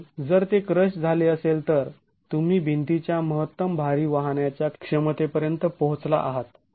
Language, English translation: Marathi, And if that were to crush, then you have reached the maximum lateral load carrying capacity of the wall